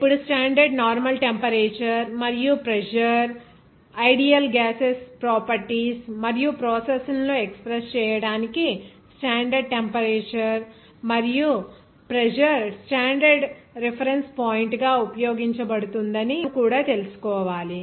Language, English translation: Telugu, Now, standard normal temperature and pressure, what is that also you also have to know that standard temperature and pressure are used widely as a standard reference point for the expression of the properties and processes of ideal gases